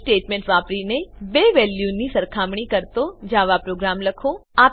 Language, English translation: Gujarati, * Write a java program to compare two values using if statement